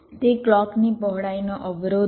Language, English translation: Gujarati, that is the clock width constraint